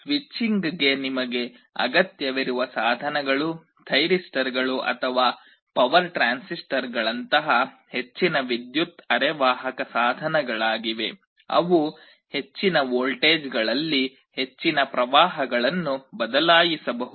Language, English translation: Kannada, Here the kind of devices you require for the switching are high power semiconductor devices like thyristors or power transistors, they can switch very high currents at high voltages